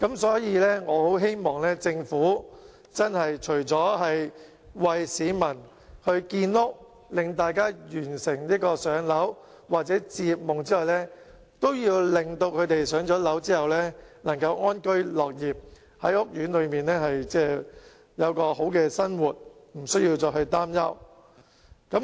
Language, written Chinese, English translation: Cantonese, 所以，我很希望政府除了為市民建屋，讓大家完成"上樓"或置業夢之外，亦要令他們在"上樓"之後能夠安居樂業，在屋苑有好的生活，無須再擔憂。, Therefore I very much hope that apart from providing housing for the public to enable them to buy their own property or realize the dream of home ownership the Government will also ensure that they can after buying their own property live in peace and work with contentment and that they can lead a happy life in the housing estate free of further worries